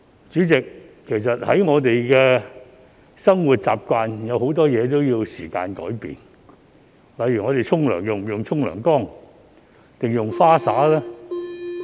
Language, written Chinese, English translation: Cantonese, 主席，其實在我們的生活習慣中，很多事情也需要時間改變，例如我們洗澡時使用浴缸還是花灑？, Chairman as regards our habits there are many things which actually take time to change . For example should we take a bath or take a shower?